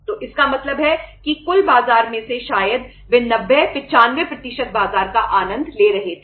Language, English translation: Hindi, So it means out of the total market maybe they were enjoying 90, 95% market